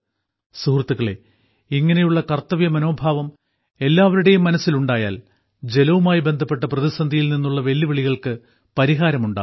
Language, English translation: Malayalam, Friends, if the same sense of duty comes in everyone's mind, the biggest of challenges related to water crisis can be solved